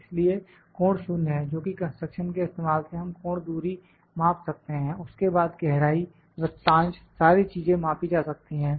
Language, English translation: Hindi, So, this angle is 0 which using construction we can measure the angle distance, then the depth the arc, all the things can be measured